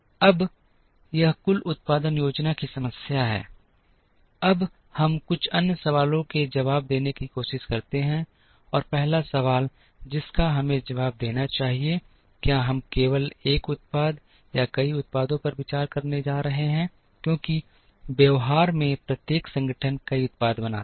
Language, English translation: Hindi, Now, this is the aggregate production planning problem, now we try and answer a few other questions the first question that we need to answer is are we going to consider only one product or multiple products, because in practice every organization makes multiple products